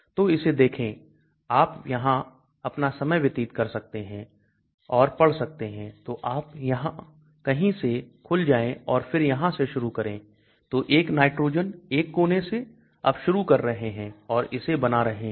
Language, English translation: Hindi, So look at this you can spend your own time and read so you open up somewhere and then you start from here so nitrogen 1 from 1 corner you are starting and drawing it